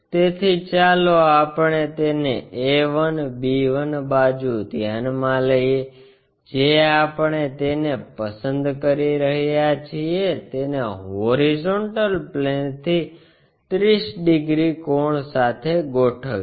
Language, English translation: Gujarati, So, the side let us consider a 1 b 1 side we are going to pick it, align it with 30 degrees angle from the horizontal plane